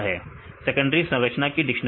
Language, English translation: Hindi, Dictionary of secondary structure